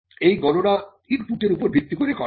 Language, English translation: Bengali, Now, this is computed based on the input